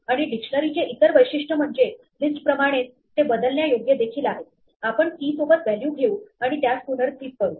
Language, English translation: Marathi, And the other feature of a dictionary is that like a list, it is mutable; we can take a value with a key and replace it